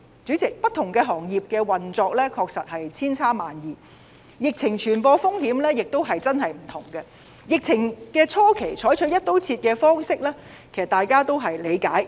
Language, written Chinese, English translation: Cantonese, 主席，不同行業的運作確實千差萬異，疫情傳染風險亦各有不同，疫情初期採取"一刀切"方式，大家都理解。, President the operation of different industries varied and the risk of infection is very different . At the early stage of the pandemic it was understandable for the Government to adopt the across the board approach